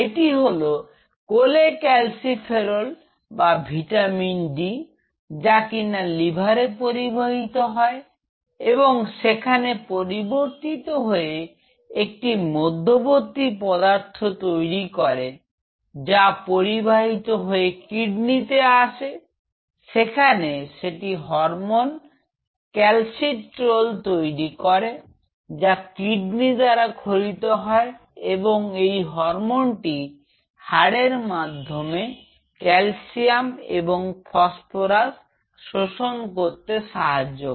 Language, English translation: Bengali, This is cholecalciferol or vitamin d it is transported to the liver in the lever this cholecalciferol is converted into intermediary analogue, this analogue is this intermediary analogue is transported to the kidney, where this is transformed into and hormone called calcitriol and calcitriol is the hormone which is secreted by the kidney which is responsible for absorbing calcium and phosphorus by the bone